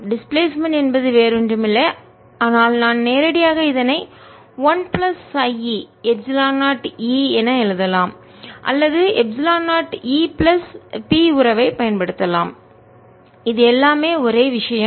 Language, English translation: Tamil, displacement is nothing, but either i can directly write one plus chi e, epsilon zero, e, or i can use the relationship epsilon zero, e plus p, which is all the same thing